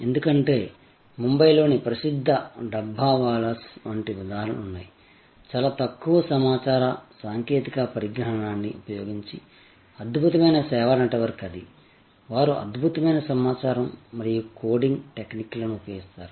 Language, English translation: Telugu, Because, there are examples like the famous Dabbawalas of Mumbai, an amazing service network using very little of information technology, they do use excellent information and coding techniques